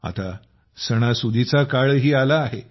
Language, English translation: Marathi, The season of festivals has also arrived